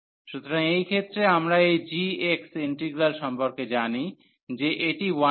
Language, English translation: Bengali, So, in this case we know about this g x integral that this 1 over a square root x